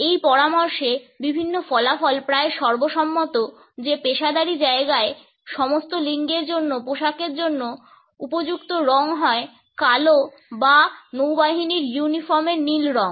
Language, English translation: Bengali, Different findings are almost unanimous in this suggestion that the appropriate color for the professional attires for all genders is either black or navy blue